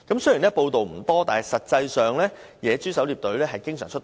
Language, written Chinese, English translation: Cantonese, 雖然報道不多，但實際上野豬狩獵隊經常出動。, Although not widely reported the wild pig hunting teams actually carried out frequent operations